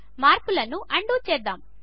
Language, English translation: Telugu, Let us undo the changes